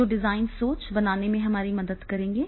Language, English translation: Hindi, They are having the approach of design thinking